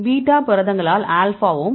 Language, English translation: Tamil, As well as alpha by beta proteins right